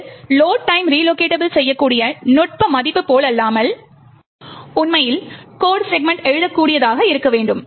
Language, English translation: Tamil, This is quite unlike the Load time relocatable technique value actually required the code segment to be writable